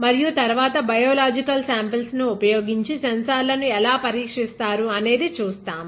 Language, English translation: Telugu, And later on we will see how these sensors can be tested with biological samples